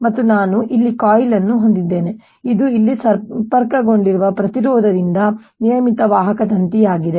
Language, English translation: Kannada, and i have here a coil which is a regular conducting wire with a resistance connected here